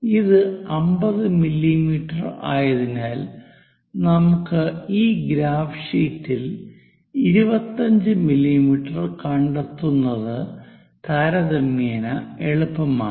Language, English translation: Malayalam, So, here because this is a 50 mm, so it is quite easy to locate 25 mm on this graph sheet for us, 25 will be at middle